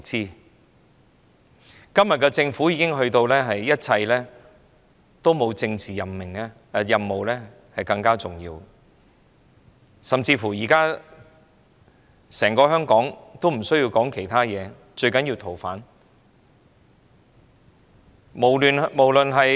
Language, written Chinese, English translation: Cantonese, 對今天的政府來說，沒有其他事情較政治任務更加重要，甚至現時整個香港均不再需要討論其他問題，最重要是處理《逃犯條例》修訂建議。, From the Governments perspective there is nothing more important than accomplishing a political mission at present and there is even no need for the entire Hong Kong to discuss other issues because the most important thing is to have the proposed amendments to the Fugitive Offenders Ordinance passed in this Council